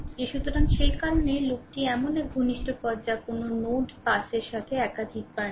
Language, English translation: Bengali, So, that is why a loop is a close path with no node pass more than once